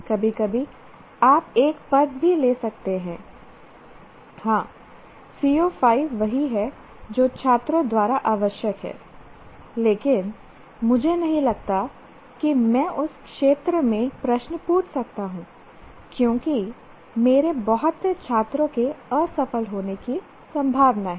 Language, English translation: Hindi, Sometimes you may take even a position, yes, C O 5 is what is required by the students but I don't think I can ask questions in that area because too many of my students are likely to fail